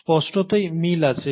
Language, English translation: Bengali, So clearly there are similarities